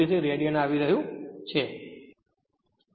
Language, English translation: Gujarati, 53 radian per second right